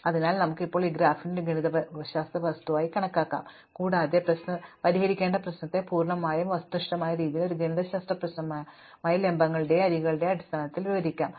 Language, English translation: Malayalam, So, we can now take this graph as a mathematical object and describe the problem to be solved in a completely objective way as a mathematical problem in terms of the vertices and the edges